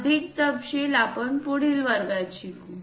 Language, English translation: Marathi, More details we will learn it in the next class